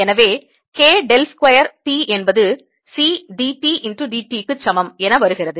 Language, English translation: Tamil, this becomes therefore k, del is square t is equal to c d t